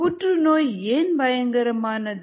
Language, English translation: Tamil, why is cancer dangerous